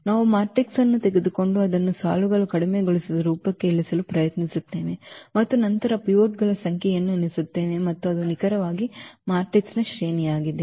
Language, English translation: Kannada, We just take the matrix and try to reduce it to the row reduced form and then count the number of pivots and that is precisely the rank of the matrix